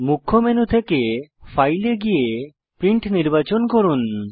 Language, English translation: Bengali, From the Main menu, go to File, and then select Print